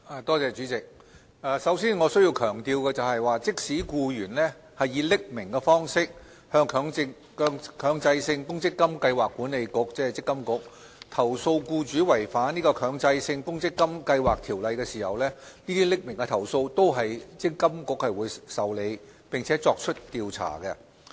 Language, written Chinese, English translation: Cantonese, 代理主席，首先，我需要強調的是，即使僱員以匿名方式向強制性公積金計劃管理局投訴僱主違反《強制性公積金計劃條例》，這些匿名的投訴，積金局仍會受理，並作出調查。, Deputy President first of all I have to stress that even if an employee lodges an anonymous complaint with the Mandatory Provident Fund Schemes Authority MPFA about non - compliance with the Mandatory Provident Fund Schemes Ordinance by hisher employer MPFA will process such anonymous complaints and conduct investigation as appropriate